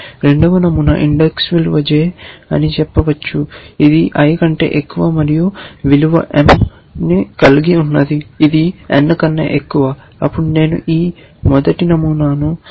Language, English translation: Telugu, The second pattern says index value is j which is greater than i and the value is m which is greater than n then I am saying modify this first pattern